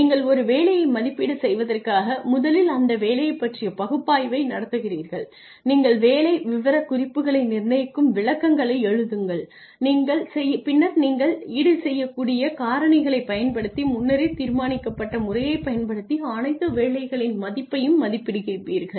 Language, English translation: Tamil, You first conduct the job analysis in order to evaluate a job you analyze the job, you write the descriptions, you determine the job specifications then you rate the worth of all jobs using a predetermined system using compensable factors